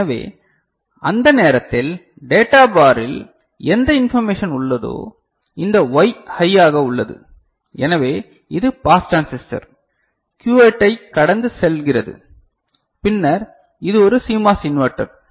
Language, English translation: Tamil, So, at that time whatever information is there here in the data bar so, this Y is high; so, this is you know getting passed by the pass transistor Q8 right and then this is a CMOS inverter